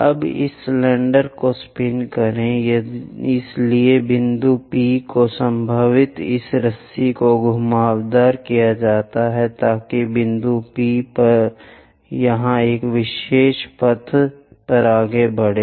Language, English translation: Hindi, Now, spin this cylinder, so the point P are perhaps wind this rope, so that point P it moves on a specialized path